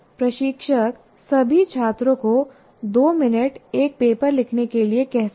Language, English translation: Hindi, The instructor can ask all the students to write for two minutes a paper